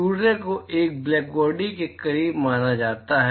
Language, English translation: Hindi, Sun is supposed to be close to a blackbody